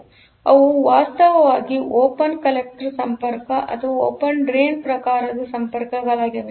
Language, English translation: Kannada, So, they are actually open collector type of connection or open drain type of connection